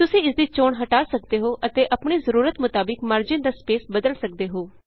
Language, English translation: Punjabi, One can uncheck it and change the margin spacing as per the requirement